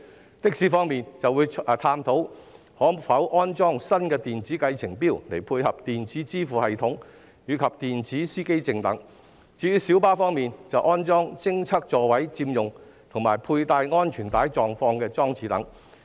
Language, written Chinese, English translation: Cantonese, 在的士方面，將會探討可否安裝新的電子計程錶，以配合電子支付系統及電子司機證等；至於小巴方面，則建議安裝偵測座位佔用及佩戴安全帶狀況的裝置等。, In respect of taxis it will explore the feasibility of installing new electronic taxi meters for e - payment system and electronic driver identification plates . As regards minibuses it proposes to install devices to detect seat occupancy and the fastening of seat belts etc